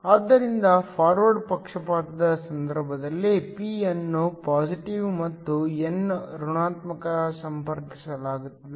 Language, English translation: Kannada, So, in the case of a forward bias, p is connected to positive and n is connected to negative